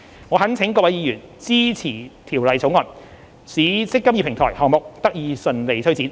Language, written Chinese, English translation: Cantonese, 我懇請各位議員支持《條例草案》，使"積金易"平台項目得以順利推展。, I implore Members to support the Bill to facilitate the smooth implementation of the eMPF Platform Project